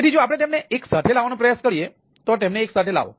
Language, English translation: Gujarati, so this is, if we try to make them together, bring them together